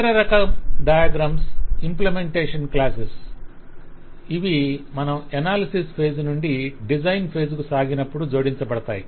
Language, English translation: Telugu, they are the diagrams of implementation classes which will be added further as we moved further from the analysis phase to the design phase